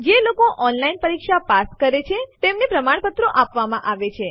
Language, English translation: Gujarati, We also give certificates to those who pass an online test